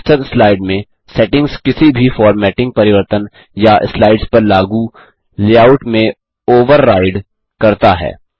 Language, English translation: Hindi, The settings in the Master slide overrides any formatting changes or layouts applied to slides